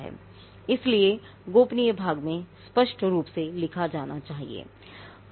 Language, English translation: Hindi, So, that has to be clearly spelled out in the confidentiality part